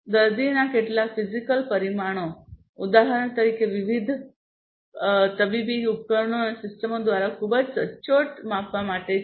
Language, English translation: Gujarati, So, some physiological parameter of a patient, for example, has to be measured very accurately by different medical devices and systems